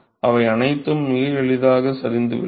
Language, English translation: Tamil, They all fall out very easily all right